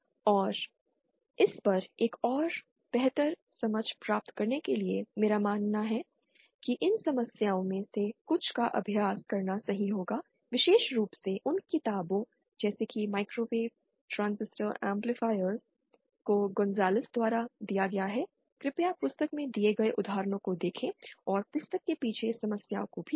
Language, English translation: Hindi, And to get an even better grasp on it, I believe it will be correct to practice some of these problems, especially those given the books by Gonzales, microwave transistor amplifiers by Gonzales, please see the examples given in the book and also the problems given at the backside of the book